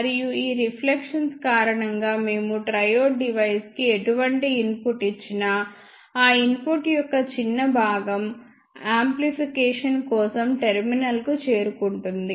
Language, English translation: Telugu, And because of these reflections ah whatever input we give to the device triode, the small fraction of that input will reach to the terminal for amplification